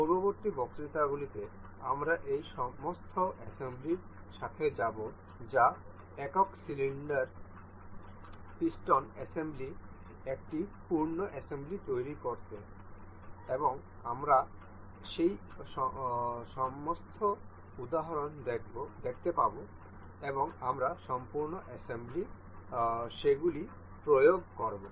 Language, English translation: Bengali, In the next lecture I will go with the I will use all of these assemblies to make one full assembly that is single cylinder piston assembly and we will see all of those examples and we will apply those in the full assembly